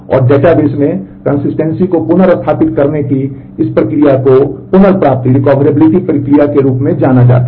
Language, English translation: Hindi, And this process of restoring the consistency back to the database is known as the recovery process